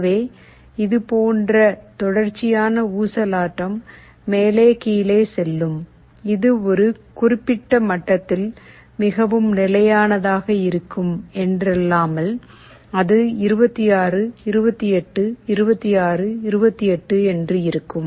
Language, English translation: Tamil, So, you will see there will be a continuous oscillation like this up down, up down, up down this will go on, it is not that it will be very stable at a certain level, it will be going 26, 28, 26, 28 something like this will happen